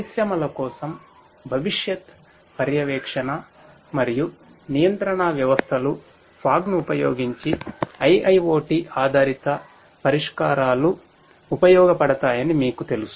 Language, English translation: Telugu, Futuristic monitoring and control systems for industries, they are also you know IIoT based solutions using fog are useful